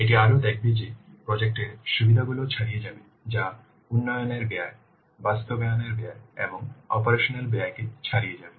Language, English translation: Bengali, It will also show that the benefits of the project that will exceed, that will outweigh the cost of the development, cost of implementation and the operation cost